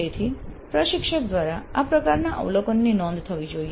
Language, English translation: Gujarati, So these kind of observations by the instructor should be noted down